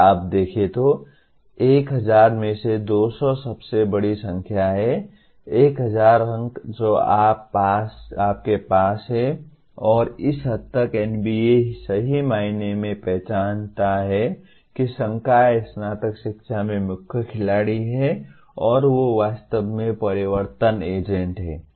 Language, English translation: Hindi, If you look at, 200 is the largest number out of the 1000, 1000 marks that you have and to this extent NBA recognizes truly the faculty are the main players in undergraduate education and they are the truly change agents